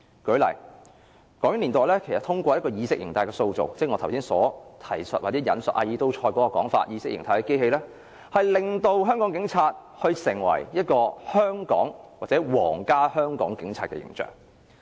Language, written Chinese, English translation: Cantonese, 舉例來說，港英年代其實通過意識形態的塑造，即我剛才提述阿爾都塞所指意識形態的機器，令香港警察成為香港或皇家香港警察的形象。, One example is the Hong Kong Police Force . During the British - Hong Kong era the Government boosted the image of the then Royal Hong Kong Police Force by means of ideology building through the adoption of ALTHUSSERs ISA